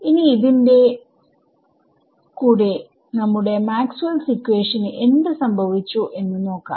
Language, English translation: Malayalam, Now with this having been said what happens to our Maxwell’s equations in we have seen all of this before right